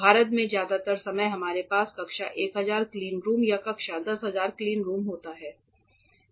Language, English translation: Hindi, Most of the time in India we usually have class 1000 cleanrooms or class 10,000 cleanrooms